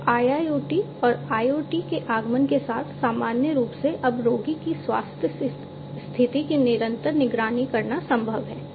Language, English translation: Hindi, So, with the advent of IIoT and IoT, in general, it is now possible to continuously monitor the health condition of the patient